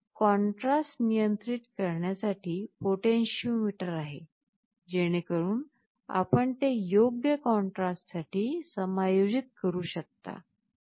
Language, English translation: Marathi, This is the potentiometer for controlling the contrast, so you can adjust it for a suitable contrast